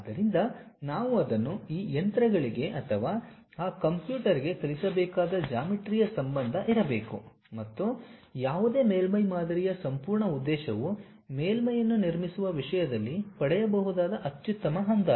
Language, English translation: Kannada, So, there should be a geometric relation we have to teach it to these machines or to that computer and whole objective of any surface model is the best approximation what one can get in terms of constructing a surface